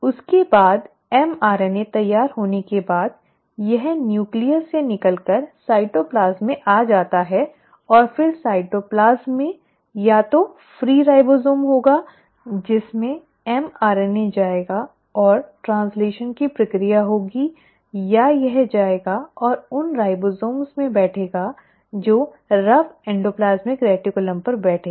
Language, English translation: Hindi, After that once the mRNA is ready, it comes out of the nucleus into the cytoplasm and then in the cytoplasm there will be either free ribosomes to which the mRNA will go and the process of translation will happen or it will go and sit on those ribosomes which are sitting on what you call as the rough endoplasmic reticulum